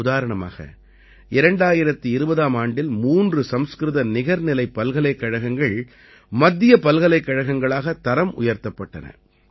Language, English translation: Tamil, For example, three Sanskrit Deemed Universities were made Central Universities in 2020